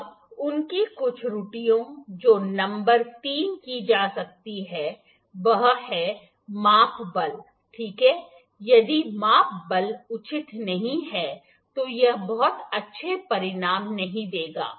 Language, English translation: Hindi, Now, their certain errors that could be made number three is measuring force, ok the if the measuring force is not proper, it would not give a very good results